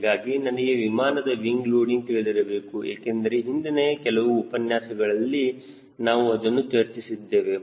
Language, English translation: Kannada, so i need to know what is the wing loading of this aircraft because that we have being talking for last few lectures